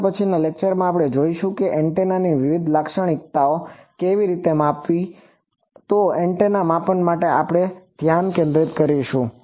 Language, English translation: Gujarati, In the next lecture, we will see what is the how to measure various antennas characteristics, so antenna measurements we will concentrate there